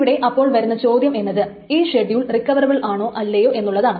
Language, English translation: Malayalam, Now the question is whether this schedule is recoverable or not